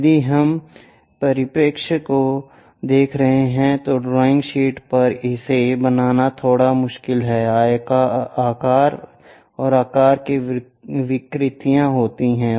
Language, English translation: Hindi, If we are looking at perspective drawing these are bit difficult to create it on the drawing sheets, size and shape distortions happens